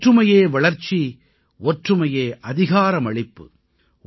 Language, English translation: Tamil, Unity is Progress, Unity is Empowerment,